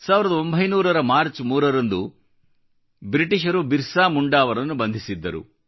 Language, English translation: Kannada, He has written that on the 3rd of March, 1900, the British arrested BirsaMunda, when he was just 25 years old